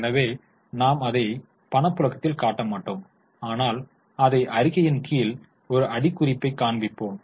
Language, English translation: Tamil, So, it is not coming in the cash flow statement, it will be shown as a note or as a footnote